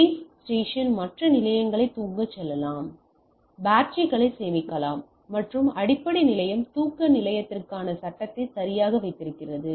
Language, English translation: Tamil, So, base station can tell other station to sleep, to save batteries and base station holds the frame for sleeping station right